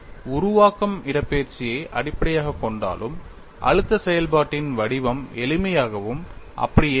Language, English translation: Tamil, Though the formulation would be based on displacement, the form of the stress function remains simple and same only